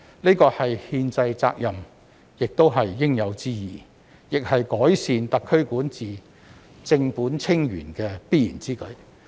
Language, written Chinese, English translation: Cantonese, 這是憲制責任也是應有之義，亦是改善特區管治，正本清源的必然之舉。, This is a constitutional responsibility and obligation and also an inevitable move to improve the governance of SAR and tackle the problems at root